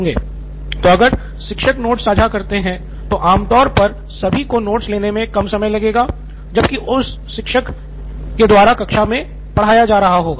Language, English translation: Hindi, So teacher sharing the notes with the peers would usually take less time in case everyone is taking the notes while teacher is teaching in class